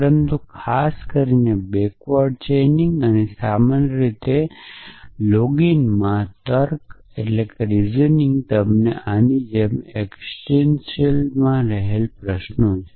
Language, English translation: Gujarati, But backward chaining in particular and reasoning in login in general allow you to ask existential queries like this